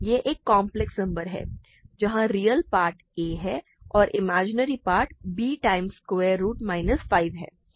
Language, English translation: Hindi, It is a complex number where the real part is a imaginary part is square root b